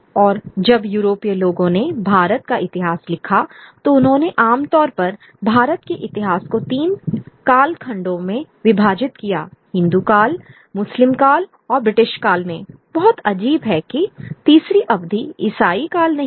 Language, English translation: Hindi, And when the Europeans wrote the history of India, they typically divided the history of India into three periods, the Hindu period, the Muslim period and the British period